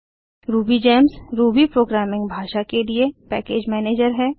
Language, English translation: Hindi, RubyGems is a package manager for Ruby programming language